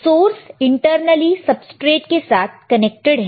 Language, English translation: Hindi, Source is internally connected to the substrate